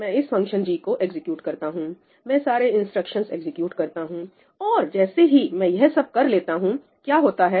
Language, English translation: Hindi, I execute this function g, I execute all the instructions and once I am done, what happens